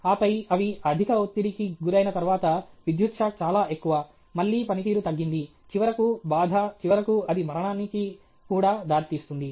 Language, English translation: Telugu, And then, once they are over stressed too much of electric shock again the performance goes down; then finally, distress, and finally, it will even lead to death and so on